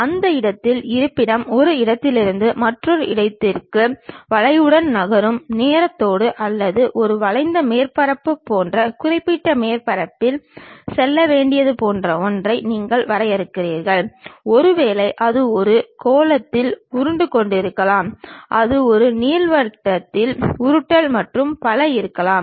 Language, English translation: Tamil, With the time the location of that point moving from one location to another location along the curve or perhaps you are defining something like it has to go along particular surface like a curved surface, maybe it might be rolling on a sphere, it might be rolling on an ellipsoid and so on